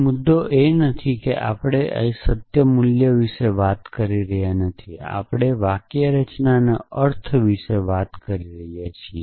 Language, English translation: Gujarati, The point is not we are not talking about the truth value here, we are talking about the meaning of the semantics of the syntax